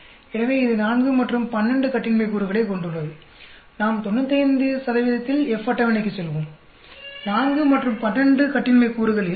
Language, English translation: Tamil, So, this has a 4 and 12 degrees of freedom; let us go back to our F table at 99 percent, 4 and 12 degrees of freedom, 5